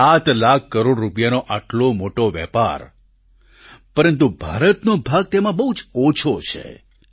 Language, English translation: Gujarati, Such a big business of 7 lakh crore rupees but, India's share is very little in this